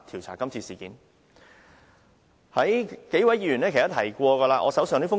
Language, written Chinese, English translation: Cantonese, 相信各位議員都有我手上這封信。, I believe all fellow Members have this letter which I have at hand